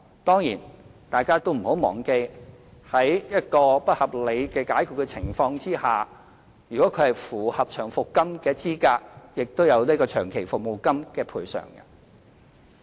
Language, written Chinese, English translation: Cantonese, 當然，大家不要忘記，僱員在遭不合理解僱的情況之下，如果符合領取長期服務金的資格，亦可獲得長期服務金。, Of course we must not forget that after being unreasonably dismissed if the employee is eligible to receive long service payment he will also receive long service payment